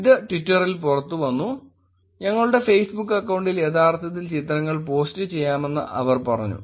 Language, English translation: Malayalam, This came out on Twitter and they said that we can actually post the pictures on our Facebook account